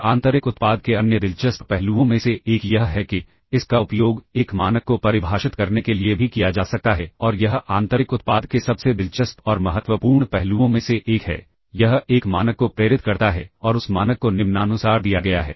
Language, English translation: Hindi, And one of the other interesting aspects of the inner product is that it can be also be used to define a norm, and that is one of the most interesting and important aspects of the inner product it induces a norm and that norm is given as follows